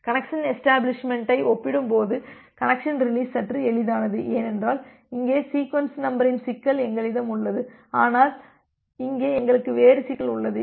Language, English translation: Tamil, Connection release is little bit easier compared to connection establishment because we do not have the problem of sequence number here, but here we have a different problem